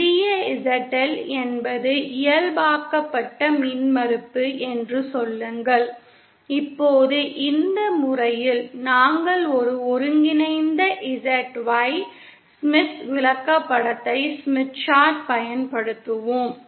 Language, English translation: Tamil, Say small ZL is the normalized impedance that isÉ Now in this method we will be using a combined ZY Smith Chart